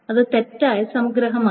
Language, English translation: Malayalam, So that's an incorrect summary